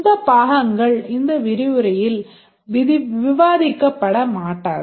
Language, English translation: Tamil, This part will not discuss in this lecture